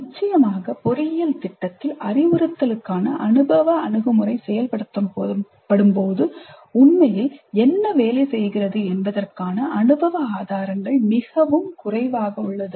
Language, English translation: Tamil, Of course there is relative positive empirical evidence of what really works when experiential approach to instruction is implemented in an engineering program